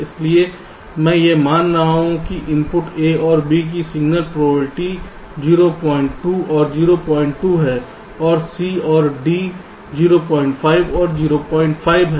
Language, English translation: Hindi, so i am assuming that the signal probability of the inputs a and b are point two and point two, and c and d are point five and point five